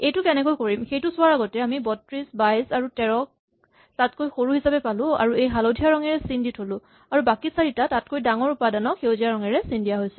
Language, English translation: Assamese, So, without going into how we will do this, we end up identifying 32, 22 and 13 as three elements which are smaller and marked in yellow and the other four elements which are marked in green are larger